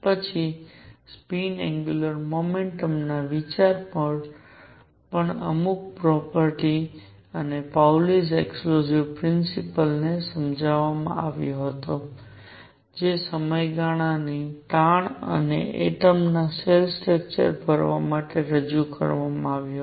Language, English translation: Gujarati, Then the idea of spin angular momentum also came to explain certain properties Pauli exclusion principle was introduced to explain the periodicity, and the filling of atomic shell structure